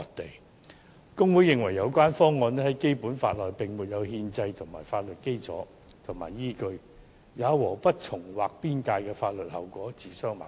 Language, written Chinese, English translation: Cantonese, 大律師公會認為，有關方案在《基本法》內並沒有憲制法律基礎和依據，也和不重劃邊界的法律後果自相矛盾。, HKBA held that the relevant proposal has no constitutional foundation or basis within the Basic Law and runs counter to the legal consequence of not doing a redraw of boundary